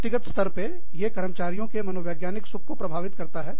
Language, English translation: Hindi, At the individual level, it affects the psychological well being, of the employees